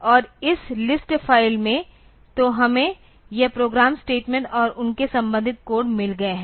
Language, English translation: Hindi, And in this list file; so, we have got this the program statements and their corresponding codes